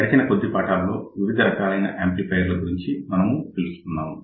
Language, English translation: Telugu, In the last few lectures, we have been talking about different types of amplifiers